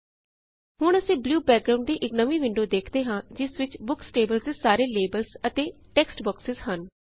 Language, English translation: Punjabi, Now, we see a new window with a blue background with labels and text boxes corresponding to the fields in the Books table